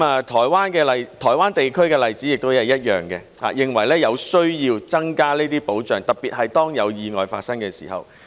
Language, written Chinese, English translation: Cantonese, 台灣地區的例子亦是一樣，他們認為有需要增加保障，特別是當有意外發生的時候。, The example of the Taiwan region is the same . They have recognized the necessity to enhance protection especially protection in the event of accidents